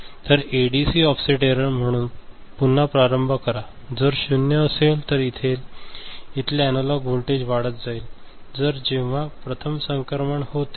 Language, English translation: Marathi, So, ADC offset error, so again you start if it is 0, it is 0, then if you keep increasing the analog voltage, when the first transition occurs ok